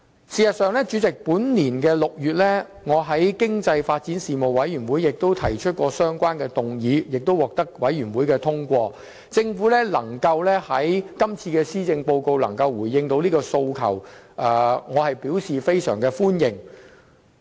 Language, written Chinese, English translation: Cantonese, 事實上，本年6月，我在經濟發展事務委員會上亦提出相關議案，並獲得通過，政府能在這份施政報告中回應這訴求，我表示非常歡迎。, In fact in June this year I proposed a related motion at the meeting of the Panel on Economic Development and the motion was passed . I welcome the Governments prompt response to this request in this years Policy Address